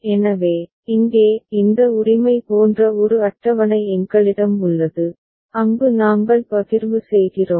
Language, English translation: Tamil, So, here the; we have a table like this right, where we are doing the partitioning